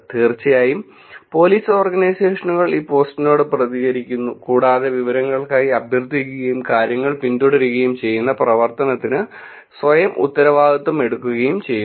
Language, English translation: Malayalam, And of course, police organizations respond to this post, and request for information and follow up on things also making themselves accountable for the activity that is going on